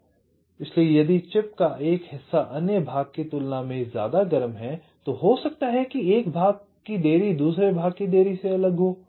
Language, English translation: Hindi, so if one part of chip is hotter than other part, so may be the delay of one part will be different from the delay of the other part